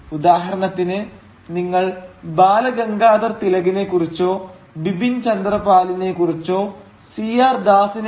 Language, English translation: Malayalam, So, for instance, if you have thought of Bal Gangadhar Tilak or Bipin Chandra Pal, or C